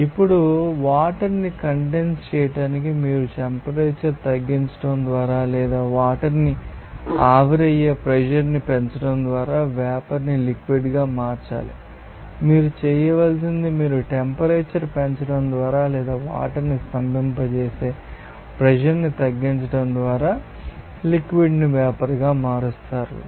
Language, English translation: Telugu, Now, to condense it water you have to convert the vapour to liquid by decreasing the temperature or increasing the pressure to evaporate water what you have to do you have to convert the liquid to vapor by increasing temperature or decreasing the pressure to freeze the water you have to convert the liquid to solid by decreasing temperature or increasing the pressure